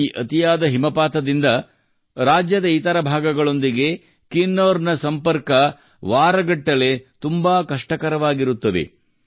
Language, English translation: Kannada, With this much snowfall, Kinnaur's connectivity with the rest of the state becomes very difficult for weeks